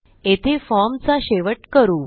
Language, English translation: Marathi, We will end our form here